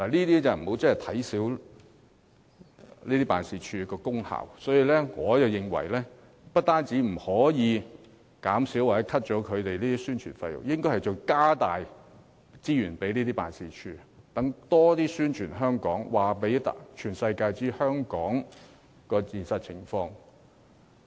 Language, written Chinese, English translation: Cantonese, 大家不應小看經貿辦的功效，我甚至認為不但不可削減其宣傳費用，反而應增撥資源，讓駐外經貿辦更多宣傳香港，讓世界各地人士了解香港的現實情況。, We should not underestimate the role of ETOs and I even think that instead of cutting their publicity expenses we should really allocate more funding to them so that they can step up their publicity on Hong Kong and let the whole world know about our actual situation